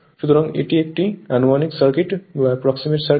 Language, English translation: Bengali, So, this is your approximate circuit